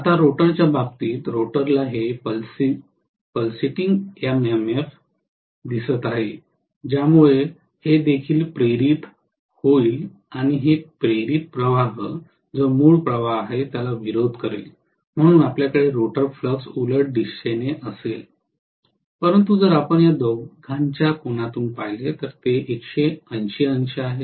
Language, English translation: Marathi, Now, as far as the rotor is concerned, the rotor is saying is seeing this pulsating MMF because of which this will also have induced and that induced flux will be opposing whatever is the original flux, so we will have the rotor flux in the opposite direction, but if you look at the angle between these two, it is 180 degrees